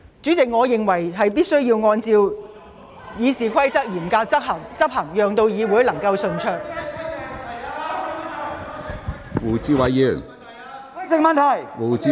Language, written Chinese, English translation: Cantonese, 主席，我認為必須嚴格執行《議事規則》，讓會議能夠順利進行。, President in my view RoP must be enforced strictly to facilitate the smooth running of meetings